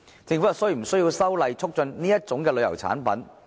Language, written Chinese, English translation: Cantonese, 政府是否需要修例促進這類旅遊產品？, Does the Government need to amend the legislation to promote such a tourism product?